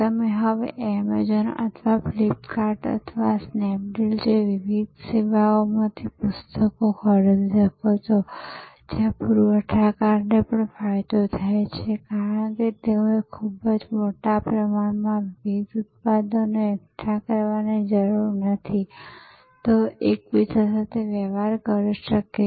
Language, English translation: Gujarati, You can buy now books from various services like Amazon or Flipkart or other Snap Deal, where the suppliers also benefits because, they do not have to accumulate a variety of products in a very large warehouse, they can transact with each other